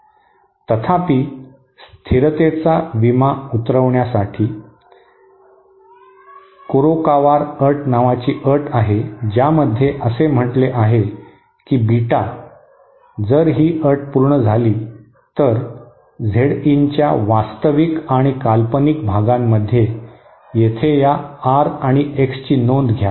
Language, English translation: Marathi, Um at the point of oscillation however, in order to insure stability there is a condition called Kurokawar condition which states that BetaÉ If this condition is satisfied, here note this R in and X in our real and imaginary parts of Z in